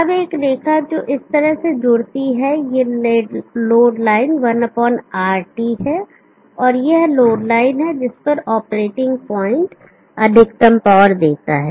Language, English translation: Hindi, Now a line which joins up like this, this is the load line 1/rt and this is the load line at which the operating point gives the maximum power